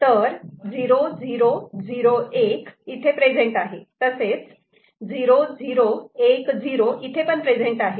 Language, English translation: Marathi, So, 0 0 0 1 this is present, so this is there